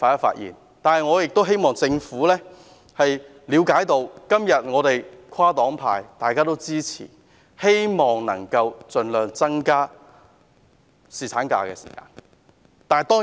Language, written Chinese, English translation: Cantonese, 不過，我希望政府了解，今天跨黨派支持其方案，是希望能夠盡量增加侍產假的日數。, However the Government should understand that different political parties support its proposal today for the purpose of extending the duration of paternity leave as far as possible